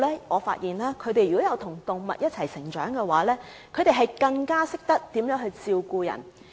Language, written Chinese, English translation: Cantonese, 我發現與動物一起成長的小朋友更懂得照顧別人。, I find that children growing up with animals know better how to take care of others